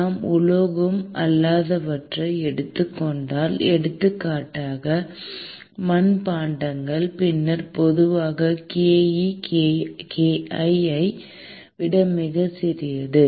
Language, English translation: Tamil, If we take non metals; for example, ceramics, then typically ke is much smaller than kl